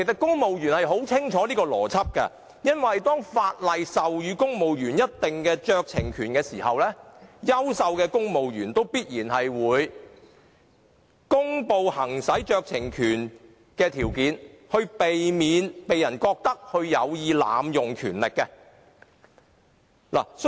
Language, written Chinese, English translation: Cantonese, 公務員應該很清楚這個邏輯，因為當法例授予公務員某酌情權時，優秀的公務員必然會公布行使該酌情權的條件，以免被人認為有意濫用權力。, Civil servants should be very clear about this logic . When civil servants are conferred by law with certain discretionary power those who are competent will certainly make public the conditions under which this power is to be exercised so as to avoid being criticized for abuse of power